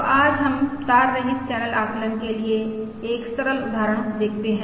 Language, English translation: Hindi, So today let us look at a simple example for wireless channel estimation